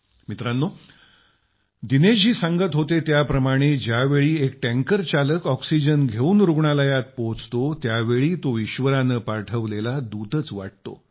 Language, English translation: Marathi, Friends, truly, as Dinesh ji was mentioning, when a tanker driver reaches a hospital with oxygen, he comes across as a godsent messenger